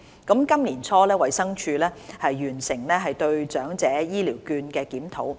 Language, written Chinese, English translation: Cantonese, 今年年初，衞生署完成對長者醫療券計劃的檢討。, DH completed a review of the Elderly Health Care Voucher Scheme earlier this year